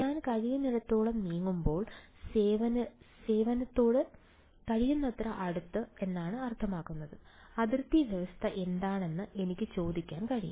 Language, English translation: Malayalam, As I move as far as possible, I mean as close as possible to the service, I will be able to ask what the boundary condition is